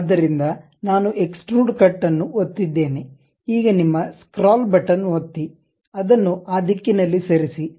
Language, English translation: Kannada, So, I clicked Extrude Cut, now click your scroll button, move it in that direction